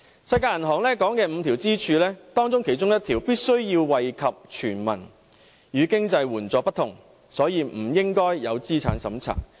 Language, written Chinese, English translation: Cantonese, 世界銀行所提倡的五根支柱之一的退休保障必須惠及全民，亦與經濟援助不同，所以不應設有資產審查。, As one of the five pillars advocated by the World Bank retirement protection must benefit everybody and it is different from financial assistance . Therefore there should not be any asset test